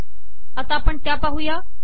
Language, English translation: Marathi, So lets see that also